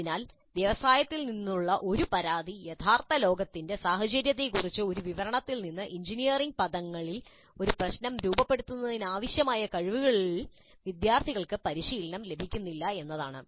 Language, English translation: Malayalam, So one of the complaints from industry has been that students are not being trained in the skills required to formulate a problem in engineering terms from a description given of the real world scenario